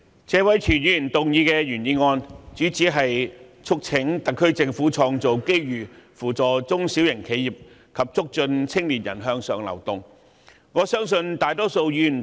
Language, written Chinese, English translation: Cantonese, 主席，我首先多謝謝偉銓議員動議"創造機遇扶助中小型企業及促進青年人向上流動"的議案。, President first of all I thank Mr Tony TSE for moving this motion on Creating opportunities to assist small and medium enterprises and promoting upward mobility of young people